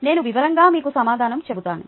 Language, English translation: Telugu, i will tell you the solution in detail